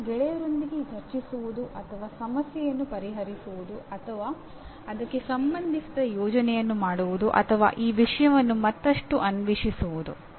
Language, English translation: Kannada, That is either discussing with peers or solving the problem or doing a project related to that or exploring that subject further